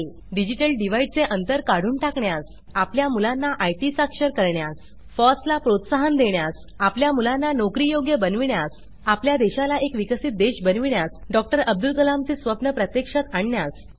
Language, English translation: Marathi, To remove digital divide To make our children IT literate To promote FOSS To make our children employable To make our country a developed one To realise the dream of Dr